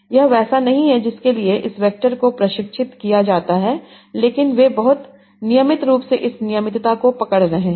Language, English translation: Hindi, This was not something for which these vectors were trained for, but they are capturing this regularity very nicely